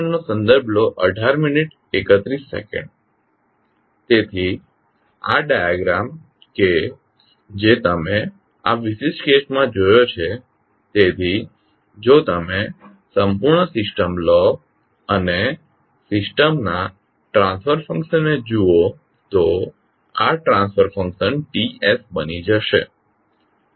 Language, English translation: Gujarati, So the figure which you saw in this particular case, so if you take the complete system and see the transfer function of the system, this transfer function will become Ts